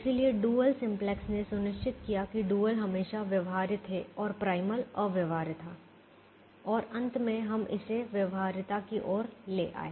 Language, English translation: Hindi, so dual simplex ensure that the dual was always feasible and the primal was infeasible and finally we brought it towards feasibility